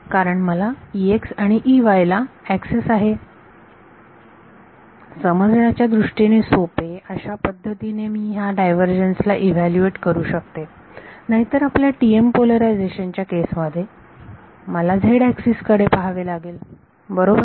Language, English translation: Marathi, TE, because I will have a access to E x and E y and I can evaluate this divergence in a way that is easy to interpret, otherwise in the case of a your TM polarization I have to be looking at the z axis right